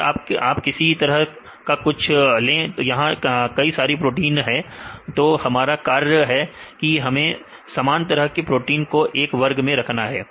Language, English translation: Hindi, So, if you take the similar type its many proteins, the task is to group similar proteins right